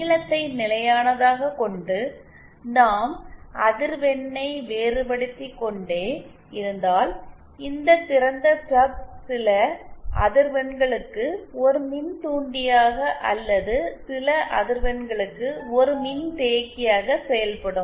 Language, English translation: Tamil, If the length is constant, and if we keep varying the frequency, then this open stub will act as a inductor for some frequencies or as a capacitor for some frequencies